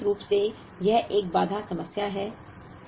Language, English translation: Hindi, So, in principle that is a constraint problem